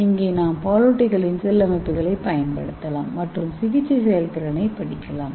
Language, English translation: Tamil, So we can use the cell lines, mammalian cell lines and you can study the therapeutic efficiency